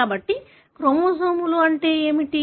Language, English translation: Telugu, So what are chromosomes